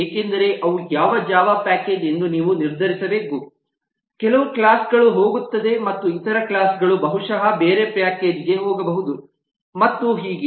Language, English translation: Kannada, these are actual physical decisions because you have to decide which java package some classes going and the other classes will possibly go in some other package and so on